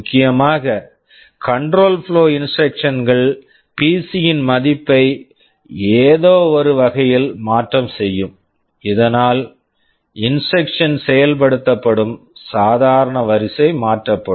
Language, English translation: Tamil, Essentially control flow instructions are those that will be altering the value of PC in some way so that the normal sequence of instruction execution will be altered